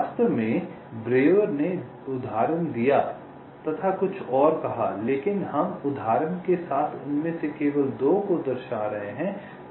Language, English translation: Hindi, in fact, breuer illustrated and stated a few more, but we are just illustrating two of them with example so that you know exactly what is being done